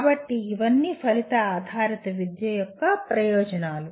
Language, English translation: Telugu, So these are all the advantages of outcome based education